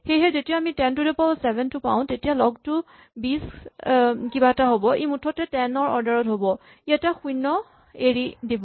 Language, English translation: Assamese, So, when we have 10 to the 7 then the log is going to be something like 20 something, so it is going to be of the order of 10, its going to drop one 0